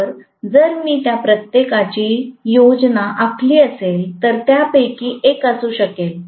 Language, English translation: Marathi, So, if I actually plot each of them I may have actually one of them